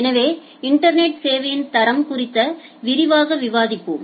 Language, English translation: Tamil, So, we are discussing about internet quality of service in details